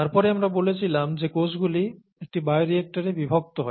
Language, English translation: Bengali, And then, we said that cells are subjected to shear in a bioreactor